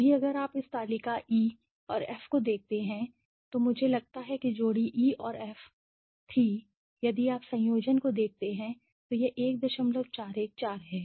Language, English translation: Hindi, Right now if you look at this table E and F I think the pair was E and F if you look at the combination it is 1